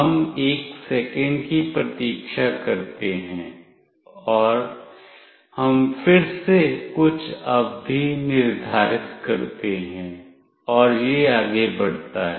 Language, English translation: Hindi, We wait for 1 second and we again set some period and this goes on